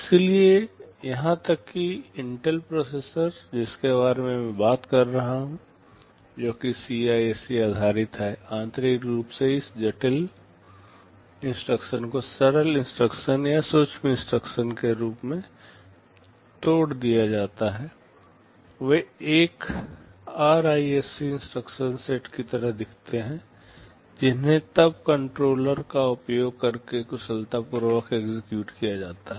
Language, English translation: Hindi, So, even the Intel processors I am talking about those are based on CISC; internally these complex instructions are broken up into simpler instructions or micro instructions, they look more like a RISC instruction set, which are then executed efficiently using a controller